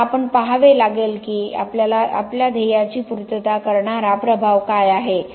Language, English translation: Marathi, Now we have to see what is the impact which satisfies our goal